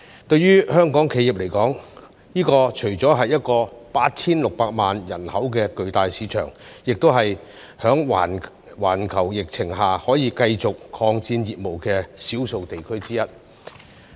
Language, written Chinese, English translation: Cantonese, 對於香港企業來說，這除了是 8,600 萬人口的巨大市場，亦是在環球疫情下可以繼續擴展業務的少數地區之一。, For Hong Kong companies GBA is not only a huge market with a population of 86 million but also one of the few regions that can continue to expand their business in the face of the global epidemic